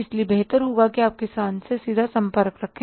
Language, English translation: Hindi, So better it is, you have the direct contact with the farmer